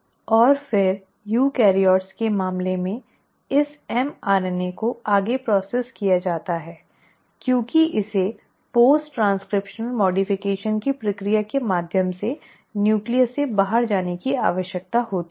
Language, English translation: Hindi, And then in case of eukaryotes this mRNA is further processed, because it needs to go out of the nucleus through the process of post transcriptional modification